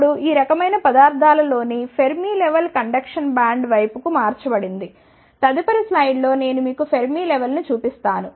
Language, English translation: Telugu, Now, the Fermi level in these types of materials is shifted towards the conduction band, I will show you Fermi level in the next slide